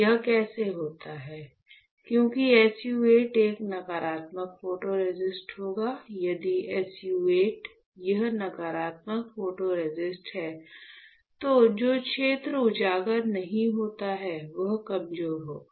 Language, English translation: Hindi, So, how does it happens, because SU 8 would is a negative photoresist; if SU 8 this negative photoresist then the area which is not exposed right, will be weaker correct, the area which is not exposed will be weaker